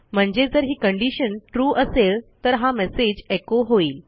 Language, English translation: Marathi, If this condition is true, we will echo this message